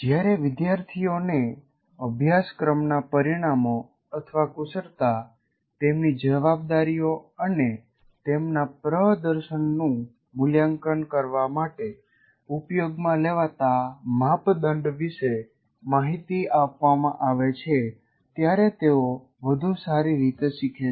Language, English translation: Gujarati, Students learn better when they are provided information about the course outcomes, competencies, their responsibilities and the criteria used to evaluate their performance